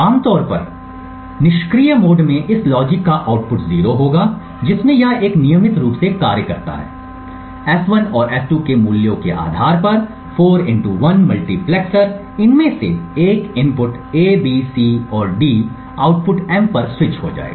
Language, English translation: Hindi, Typically, in the passive mode or the output of this logic will be 0 in which case it acts as a regular 4 to 1 multiplexer depending on the values of S1 and S2, one of these inputs A, B, C and D would get switched to the output M